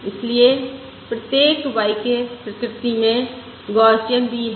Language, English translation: Hindi, Therefore each y k is also Gaussian in nature